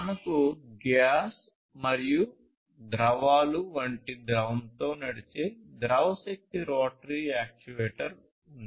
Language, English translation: Telugu, Then you have fluid power rotary actuator again powered by fluid such as gas liquids and so on